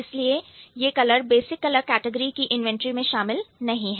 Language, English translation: Hindi, So, this is not in the inventory of the basic color categories, right